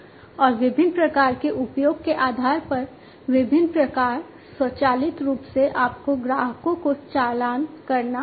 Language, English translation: Hindi, And different types of you know based on the different types of usage, you have to automatically you have to invoice the customers